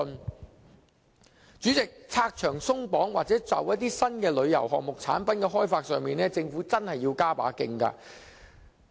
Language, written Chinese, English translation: Cantonese, 代理主席，拆牆鬆綁或就某些新的旅遊項目產品的開發上，政府真的要加把勁。, Deputy President the Government honestly needs to work harder to remove the constraints or develop new tourism items or products